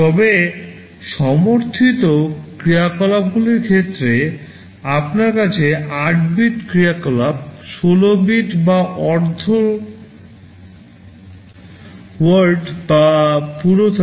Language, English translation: Bengali, But in terms of the operations which are supported, you can have 8 bit operations, 16 bit or half word operations, or full 32 bit word operations